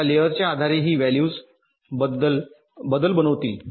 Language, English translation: Marathi, now, depending on the layer, this values will change